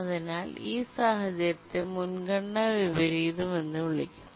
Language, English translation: Malayalam, So, this is a simple priority inversion